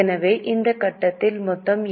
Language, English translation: Tamil, So, here you get total